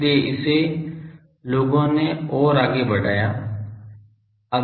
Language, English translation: Hindi, So, this people have further make it